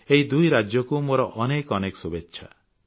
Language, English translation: Odia, I wish the very best to these two states